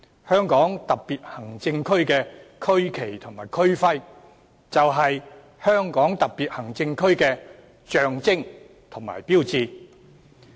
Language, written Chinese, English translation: Cantonese, 香港特別行政區的區旗及區徽，就是香港特別行政區的象徵和標誌。, The regional flag and regional emblem of the Hong Kong Special Administrative Region HKSAR are the symbols and icons of HKSAR